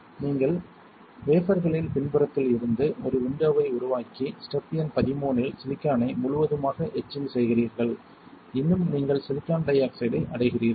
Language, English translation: Tamil, You create a window from the backside of the wafer and in step number 13 you etch the silicon completely, completely still you reach the silicon dioxide